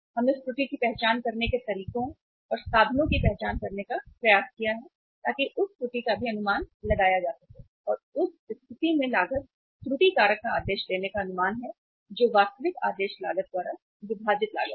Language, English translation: Hindi, We have tried to find out the ways and means to identify that error also to estimate that error also and in that case ordering cost error factor is estimated ordering cost divided by actual ordering cost